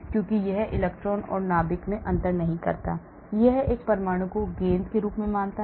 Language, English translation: Hindi, Because it does not differentiate the electron and the nucleus, it assumes an atom as a ball